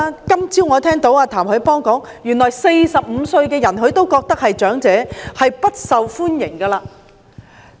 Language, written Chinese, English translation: Cantonese, 今天早上，我聽到譚凱邦說話，原來他認為45歲的人是長者，不受歡迎。, This morning I heard TAM Hoi - pong speak and it turns that he considers the 45 - year - olds to be elderly and hence unpopular